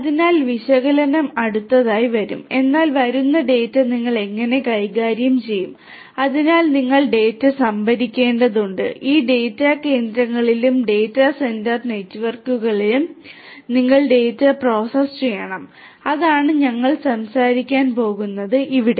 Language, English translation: Malayalam, So, analysis comes next, but then how do you handle the data that is coming so you have to store the data, you have to process the data in these data centres and the data centre networks and that is what we are going to talk about here